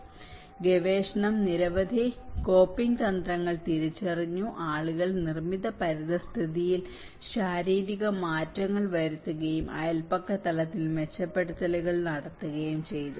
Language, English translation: Malayalam, (FL from 28:53 to 29:54); The research identified several coping strategies, people made physical modifications within built environment as well as making improvements at the neighbourhood level